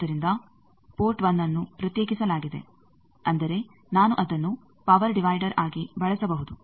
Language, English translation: Kannada, So, port 1 is isolated that means I can use it as a power divider